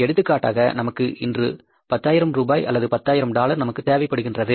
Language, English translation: Tamil, For example today we need the fund say 10,000 rupees or dollars we have a shot